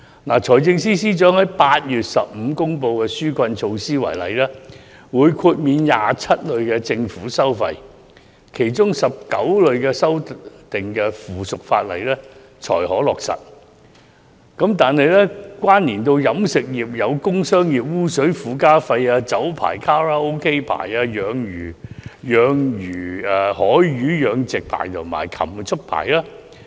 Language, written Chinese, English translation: Cantonese, 以財政司司長在8月15日公布的紓困措施為例，政府指會豁免27類政府收費，但其中19類須修訂附屬法例才可落實，關連到飲食業的有工商業污水附加費、酒牌、卡拉 OK 牌、海魚養殖牌及禽畜牌。, Take for example the relief measures announced by the Financial Secretary on 15 August . The Government indicated that it would waive 27 groups of government fees and charges but 19 such groups require the making of subsidiary legislation in terms of implementation and those that relate to the catering industry are trade effluent surcharge liquor licences permits and licences for karaoke establishments marine fish culture licences and livestock keeping licences